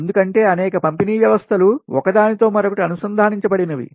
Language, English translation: Telugu, right, because many power system they are interconnected together